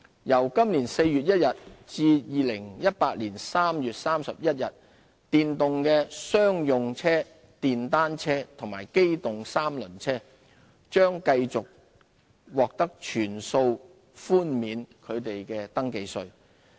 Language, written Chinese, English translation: Cantonese, 由今年4月1日至2018年3月31日，電動的商用車、電單車和機動三輪車將繼續獲全數寬免其首次登記稅。, From 1 April 2017 to 31 March 2018 First Registration Tax of electric commercial vehicles motor cycles and motor tricycles will continue to be fully waived